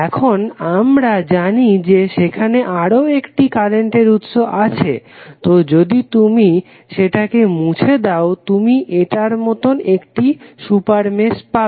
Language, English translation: Bengali, Now, we know that there is another current source, so if you remove this current source you will get one super mesh as this one, right